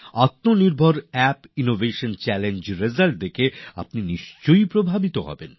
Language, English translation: Bengali, You will definitely be impressed on seeing the results of the Aatma Nirbhar Bharat App innovation challenge